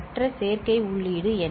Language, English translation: Tamil, And other adder input is what